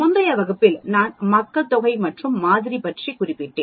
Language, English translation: Tamil, Now, in the previous class I mentioned about population and sample